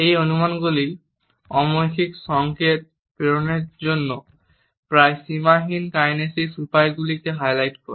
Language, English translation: Bengali, These estimates highlight the nearly limitless kinesic means for sending nonverbal signals